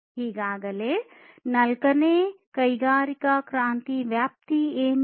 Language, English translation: Kannada, So, what is the scope of the fourth industrial revolution